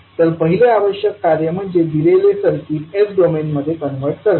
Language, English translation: Marathi, So first task which is required is that convert the given circuit into s minus domain